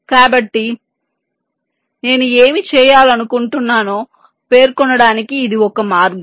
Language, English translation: Telugu, so this is one way of specifying what i want to do